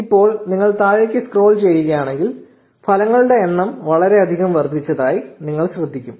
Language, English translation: Malayalam, Now, if you scroll down you would notice that the number of results have increased a lot